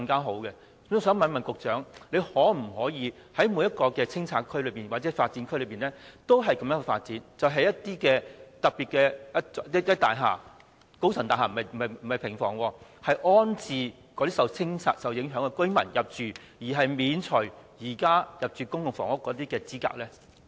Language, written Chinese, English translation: Cantonese, 我想問局長，當局可否在每個清拆或發展區也採取這種做法，就是興建一些特別的高層大廈而不是平房，以安置受清拆影響的居民，以及豁免他們符合現時入住公共房屋的資格呢？, May I ask the Secretary whether the authorities can adopt such an approach for every clearance or development area that is constructing some special high - rise buildings instead of cottage houses for rehousing residents affected by clearance and exempting them from the current eligibility requirements for PRH?